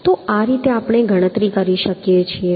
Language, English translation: Gujarati, so this is how I can calculate